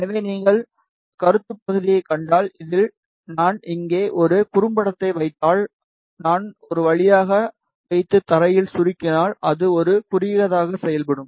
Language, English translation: Tamil, So, if you see the concept part in this, suppose if I put a short here, if I put a via and short it with ground, then it will act like a short